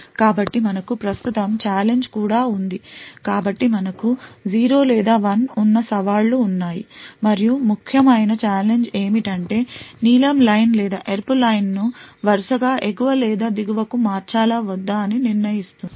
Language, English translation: Telugu, So, we also have a challenge which is present, so we have challenges which is 0 or 1, and essentially what the challenge does is that it decides whether the blue line or the red line should be switched on top or bottom respectively